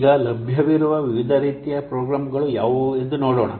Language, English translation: Kannada, Now let's see what are the different types of programs available